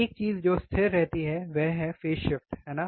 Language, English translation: Hindi, One thing that remains constant is the phase shift, is the phase shift, right